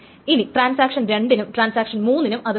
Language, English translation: Malayalam, Now both transaction 2 and transaction 3 wants it